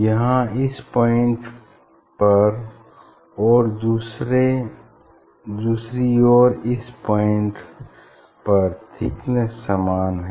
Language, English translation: Hindi, here thickness at this point and at this point same